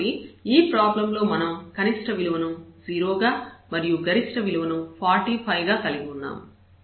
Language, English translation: Telugu, So, we have the minimum value 0 and the maximum value of this problem is 35